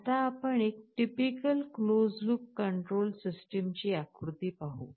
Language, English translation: Marathi, Let us look at a diagram of a typical closed loop control system